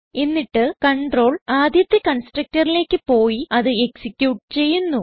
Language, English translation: Malayalam, Then, the control goes to the first constructor and executes it